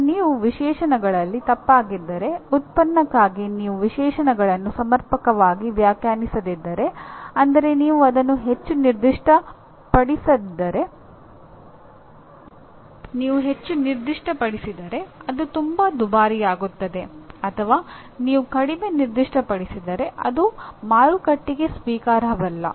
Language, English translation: Kannada, And if you err on the specifications, if you do not define your specifications adequately for the product, either it becomes too expensive if you over specify or if you under specify it will not be acceptable to the market